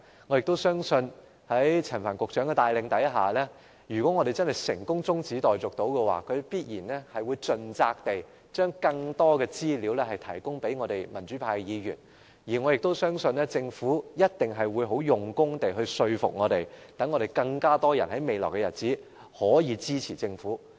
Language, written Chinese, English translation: Cantonese, 我相信在陳帆局長的帶領下，如果我們成功通過中止待續議案，他亦一定會盡責地把更多資料提供給民主派議員，而我相信政府亦一定會用功說服我們，使未來日子中，會有更多人支持政府。, I have confidence in the leadership of Secretary Frank CHAN . I believe that if this adjournment motion is passed he will fully discharge his duty of providing pro - democracy Members with more information . And I also trust that the Government will do its very best to persuade us in an attempt to win greater support for the Government in the time to come